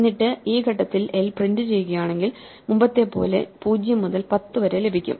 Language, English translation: Malayalam, And then if we at this point print l then we get 0 to 10 as before